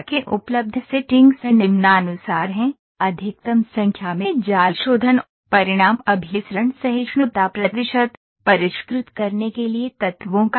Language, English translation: Hindi, The available settings are as follows, maximum number of mesh refinements, results convergence tolerance percentage, portion of elements to refine